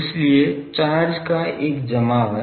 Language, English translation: Hindi, But there is an accumulation of charge